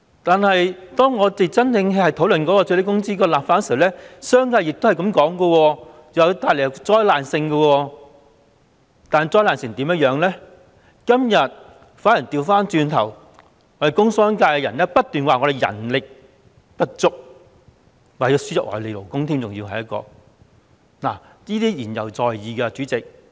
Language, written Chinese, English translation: Cantonese, 當我們討論最低工資立法時，商界說會帶來災難性影響，但工商界人士今天卻不斷說人力不足，甚至說要輸入外地勞工，這些都言猶在耳，代理主席。, When we discussed the enactment of legislation on minimum wage the commercial sector said that there would be disastrous impacts but today members of the industrial and commercial sectors keep talking about the lack of manpower and even advise importing foreign labour . All these words are still ringing in our ears Deputy Chairman